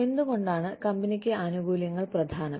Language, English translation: Malayalam, Why are benefits important for the company